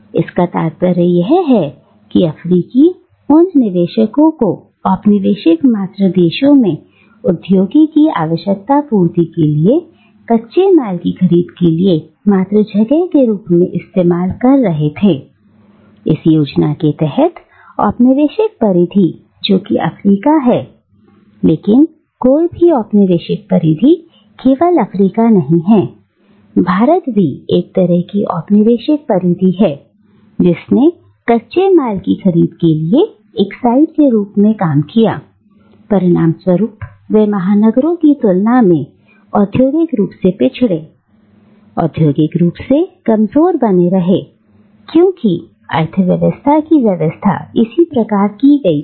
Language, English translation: Hindi, Which means that the African colonies were used as sites to procure raw materials to feed the industries in the colonial mother country and within this scheme of things, the colonial periphery, which is Africa, is therefore and any colonial periphery, not only Africa, also a colonial periphery like India, which acted as a site of procuring raw material, they remained industrially backward, industrially deficient, compared to the metropolis because that is how the economy was arranged